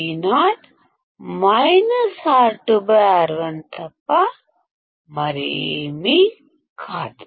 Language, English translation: Telugu, Vo will be nothing but minus R 2 by R 1